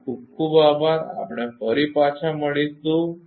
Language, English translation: Gujarati, Thank you very much, we will be back